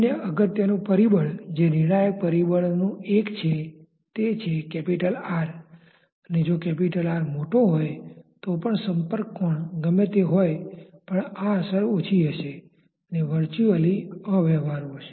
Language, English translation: Gujarati, The other important factor which is one of the decisive factors is, what is capital R because if capital R is large then no matter whatever is the contact angle this effect will be small and will virtually be unperceptible